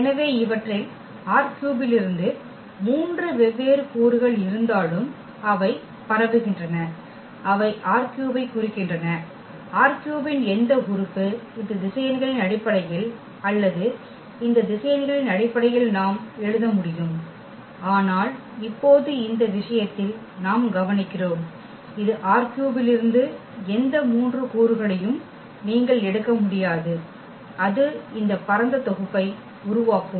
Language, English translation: Tamil, So, with these though they have the three different elements from R 3, they span; they span R 3 means any element of R 3 we can write down in terms of these vectors or in terms of these vectors, but now in this case what we will observe that this is not possible that you take any three elements from R 3 and that will form this spanning set